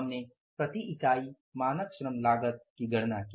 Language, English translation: Hindi, This is the standard cost of the labor